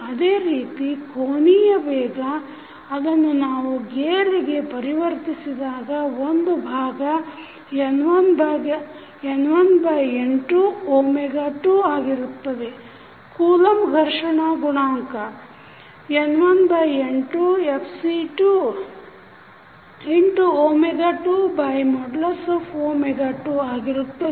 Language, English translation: Kannada, Similarly, angular velocity we convert into the gear one side is N1 upon N2 omega 2, Coulomb friction coefficient is N1 upon N2 Fc2 omega 2 divided by mod omega 2